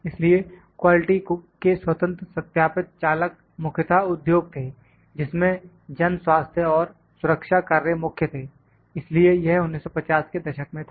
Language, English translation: Hindi, So, the drivers of independent verification of quality were primarily industries in which public health and safety work paramount so, this was in 1950s